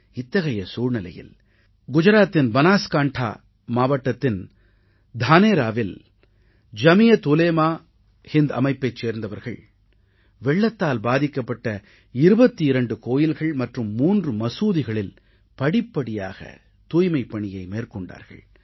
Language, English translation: Tamil, That is when, in Dhanera in the Banaskantha District of Gujarat, volunteers of JamiatUlemaeHind cleaned twentytwo affected temples and two mosques in a phased manner